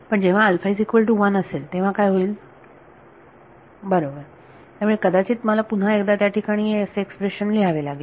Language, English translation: Marathi, But what happens when alpha is not equal to 1; right, so maybe I should write this expression once again over here